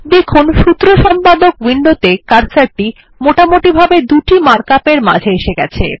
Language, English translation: Bengali, Notice that the cursor in the Formula Editor Window is placed roughly between the two matrix mark ups here